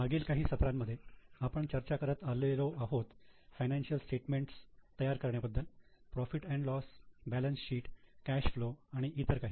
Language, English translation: Marathi, In last many sessions, in last many sessions we have been discussing about preparation of financial statements, P&L, balance sheet, cash flow and so on